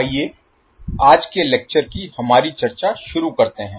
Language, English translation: Hindi, So let us start our discussion of today's lecture